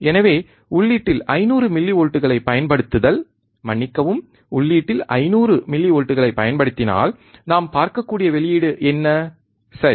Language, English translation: Tamil, So, applying 500 millivolts at the input, sorry, 500 millivolts at the input what is the output that we have to see, right